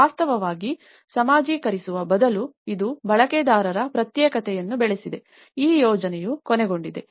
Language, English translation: Kannada, In fact, instead of socializing it has fostered the isolation and segregation of users that is how this project have ended up